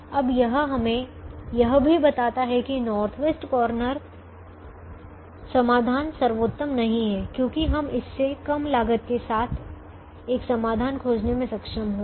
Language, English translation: Hindi, it also now tells us that the north west corner solution is not optimal because we were able to find a solution with the lesser cost than that